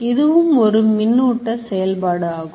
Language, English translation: Tamil, So, this is also electrical activity